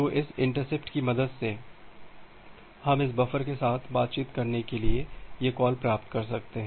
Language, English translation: Hindi, So, with the help of this interrupt, we can make this receive call to interact with this buffer